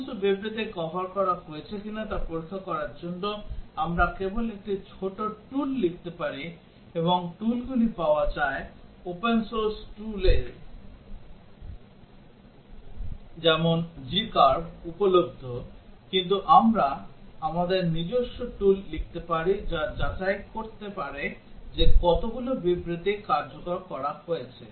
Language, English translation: Bengali, To check whether all statements are covered, we can just write a small tool and also tools are available, open source tools like g curve available, but we can write our own tool, which can check what is the percentage of the statements that are executed